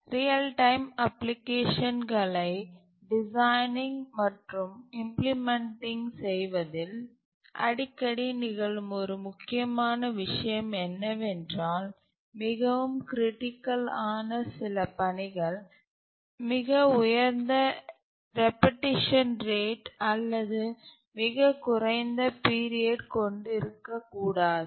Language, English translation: Tamil, One important thing that occurs frequently in designing and implementing real time applications is that some of the tasks which are very critical tasks may not have the highest repetition rate or the lowest period